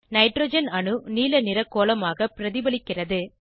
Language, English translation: Tamil, Nitrogen atom is represented as blue sphere